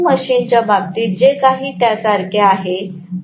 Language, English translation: Marathi, It is very similar to what we did in the case of a DC machine